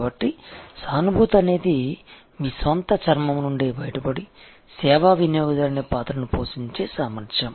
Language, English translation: Telugu, So, empathy is the ability to get out of your own skin and take on the role of the service customer